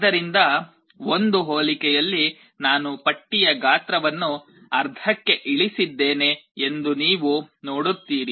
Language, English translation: Kannada, So, you see in one comparison I have reduced the size of the list to half